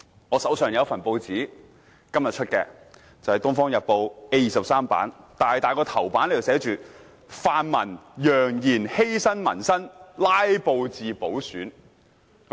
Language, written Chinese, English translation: Cantonese, 我手上有一份今天出版的《東方日報》，報紙 A23 版的巨大標題為："泛民揚言犧牲民生拉布至補選"。, I have in hand a copy of the Oriental Daily News published today . The large headline on page A23 reads Pan - democrats threaten to sacrifice peoples livelihood and filibuster until by - election